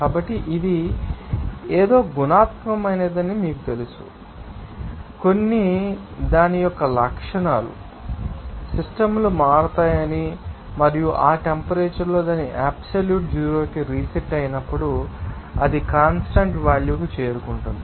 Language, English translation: Telugu, So, there is you know that this is a something is qualitative, you know, thinks that some you know the characteristics of that, you know systems will change and it will reach to a constant value when this temperature will reset to its absolute zero